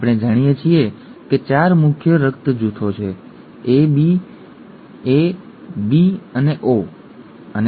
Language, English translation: Gujarati, We know that there are 4 major blood groups, what, A, B, AB and O, right